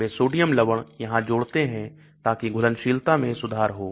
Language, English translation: Hindi, They add a sodium salt here so the solubility improves